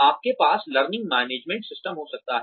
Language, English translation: Hindi, You could have learning management systems